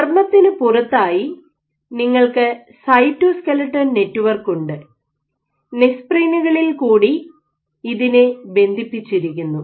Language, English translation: Malayalam, So, outside you have the cytoskeletal network through which you have connections through the nesprins